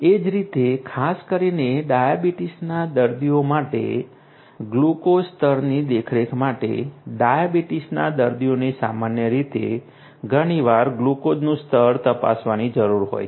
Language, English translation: Gujarati, Similarly, for glucose level monitoring particularly for diabetes, diabetes patients; diabetes patients typically need to check the glucose level quite often